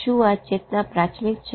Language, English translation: Gujarati, Is this consciousness primary